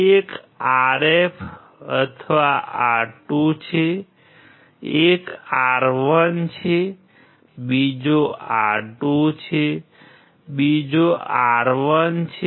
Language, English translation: Gujarati, One is RF or R2, one is R1, another is R2, another is R1